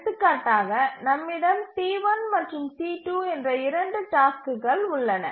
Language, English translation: Tamil, We have two tasks, T1 and T2